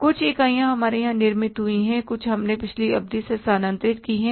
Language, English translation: Hindi, Some units we produced here and some units be transferred from the previous period